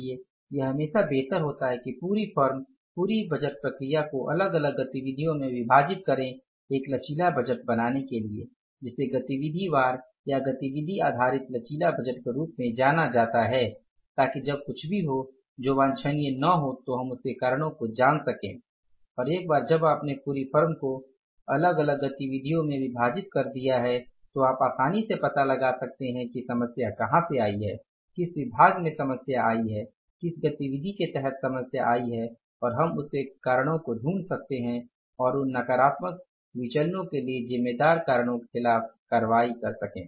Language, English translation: Hindi, So, it is better always to divide the whole firm, whole budgeting process into the different activities or to create a flexible budget which is known as activity wise or activity based flexible budget so that when there is anything happens which is not desirable, we can find out the reasons for that and once you have divided the whole firm into the different activities so you can easily find out where the problem has come up in which department the problem has come up under which activity the problem has come up and we can find out the reasons for that and take the action against the reasons responsible for that negative variance